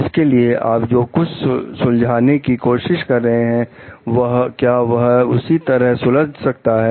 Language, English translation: Hindi, Like whatever you are trying to solve in this way can it be solve